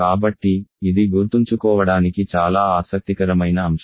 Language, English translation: Telugu, So, this is also very interesting point to remember